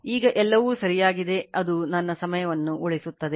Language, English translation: Kannada, Now all are correct it will save my time